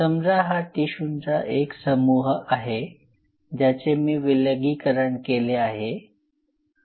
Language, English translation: Marathi, Now for example, it is a mass of cells which I have isolated